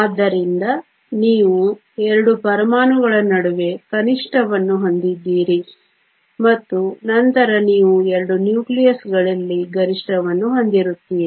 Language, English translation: Kannada, So, you have a minimum between the 2 atoms and then you have a maximum at the 2 nucleus